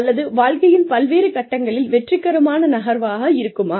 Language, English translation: Tamil, Or, is it successful movement, through various stages of life